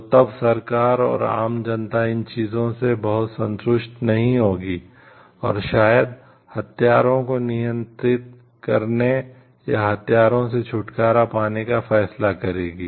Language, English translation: Hindi, So, then the government and the common people will not be very agreeable to those things and maybe decide for arms control, or disarmament